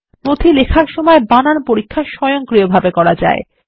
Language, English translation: Bengali, The spell check can be done automatically while writing the document